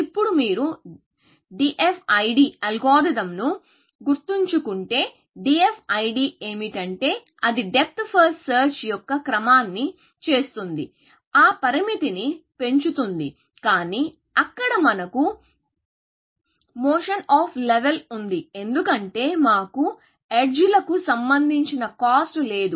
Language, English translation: Telugu, Now, if you remember the algorithm DFID, what DFID does is that it does the sequence of depth first search, with increasing that bound, but there, we have the motion of level, because we had no cost associated with edges